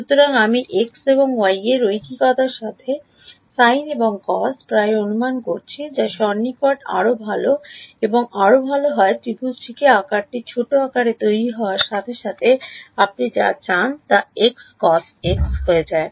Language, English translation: Bengali, So, I am approximating sine and cos by linear in x and y that approximation gets better and better as the size of the triangles is made smaller sine x becomes x cos x whatever other approximation you want to do